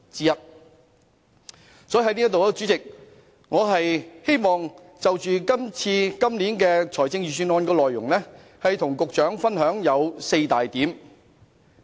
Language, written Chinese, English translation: Cantonese, 因此，我希望就今年預算案的內容，跟司局長分享4點。, Therefore as regards the contents of this years Budget I wish to share four points with the Financial Secretary